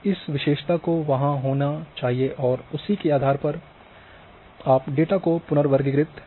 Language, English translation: Hindi, That attribute has to be there and based on that attribute you can reclassify the data